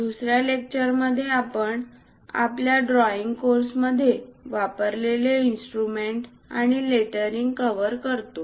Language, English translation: Marathi, In the second lecture, we are covering drawing instruments and lettering used in our drawing course